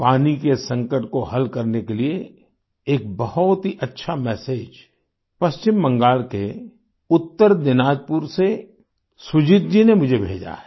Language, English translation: Hindi, In order to solve the water crisis, Sujit ji of North Dinajpur has sent me a very nice message